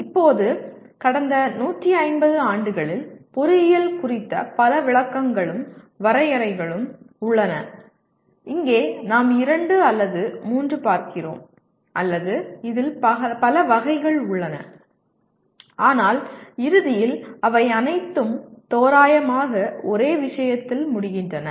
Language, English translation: Tamil, Now, there are several descriptions and definitions of engineering over the last maybe 150 years and here we look at two or three or there are several variants of this but in the end all of them they say approximately the same thing